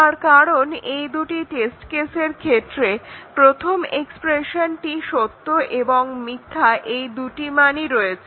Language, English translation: Bengali, In the second test case, the second expression with the two test cases is also taking the values true and false